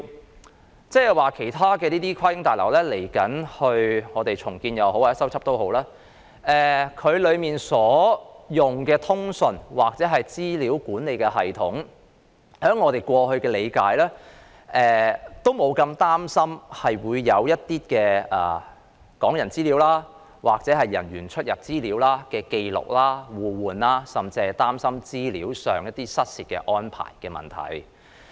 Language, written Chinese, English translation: Cantonese, 意思是，當有其他跨境旅檢大樓未來進行重建或修葺時，當中所採用的通訊或資料管理系統，據我們過去理解，都不會有人擔心港人的資料或人員的出入紀錄會被互換甚或失竊等問題。, What I mean to say is that in the case of other cross - boundary passenger clearance buildings even though they may need redevelopment or repair in the future the communications or data management systems to be set up therein―based on our previous understanding―will not arouse any public concern about such problems as the mutual exchange or even theft of Hong Kong peoples personal data or personnel movement records